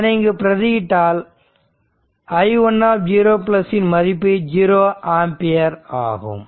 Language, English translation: Tamil, So, in that case i 1 0 plus is equal to 0 ampere